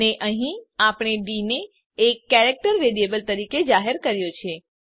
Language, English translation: Gujarati, And here we have declared d as a character variable